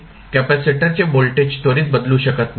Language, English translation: Marathi, The voltage across capacitor cannot change instantaneously